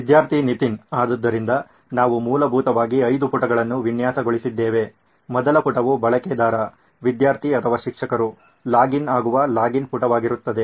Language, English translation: Kannada, So we essentially designed five pages, the first page would be a login page where the user, student or teachers logs in